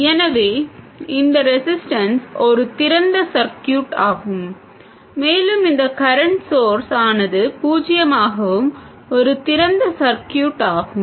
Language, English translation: Tamil, So, this resistance is an open circuit and this current source is 0 also an open circuit